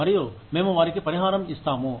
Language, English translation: Telugu, And, we compensate them, for that